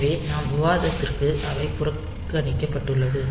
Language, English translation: Tamil, So, they can be neglected for our discussion